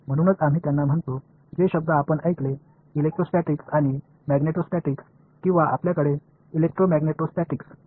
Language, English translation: Marathi, So, we call them that is why you heard the words electrostatics and magneto statics or you do not have electromagneto statics ok